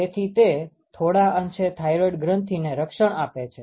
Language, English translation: Gujarati, And so, that hurts the thyroid gland very easy